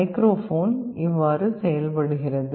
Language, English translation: Tamil, This is how a microphone works